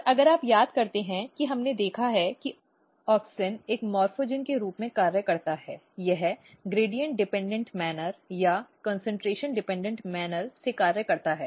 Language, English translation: Hindi, And if you recall some of the previous class we have seen that basically auxin functions as a morphogen it functions in the gradient dependent manner or the concentration dependent manner